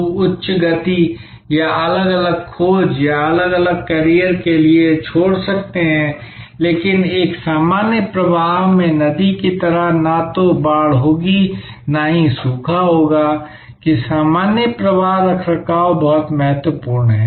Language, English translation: Hindi, People may leave for higher pursuits or different pursuit or different careers, but just like a river in a normal flow will neither have flood nor will have drought, that normal flow maintenance is very important